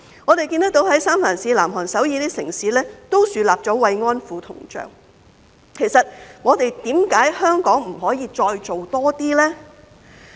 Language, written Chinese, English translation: Cantonese, 我們看到三藩市、南韓首爾等城市，也豎立了慰安婦銅像，為何香港不可以再多做一些呢？, We have seen that cities like San Francisco and Seoul South Korea have also erected bronze statues of comfort women so why can Hong Kong not do more?